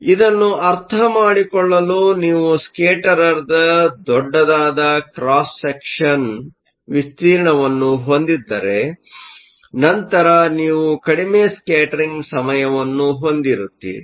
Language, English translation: Kannada, So, to understand this, if you have a larger cross section of the scatterer, then you are going to have a shorter scattering time